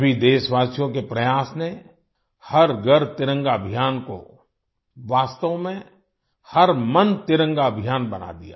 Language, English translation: Hindi, The efforts of all the countrymen turned the 'Har Ghar Tiranga Abhiyan' into a 'Har Man Tiranga Abhiyan'